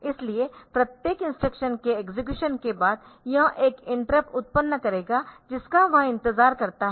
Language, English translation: Hindi, So, after execution of each instruction it will generate an interrupt that it waits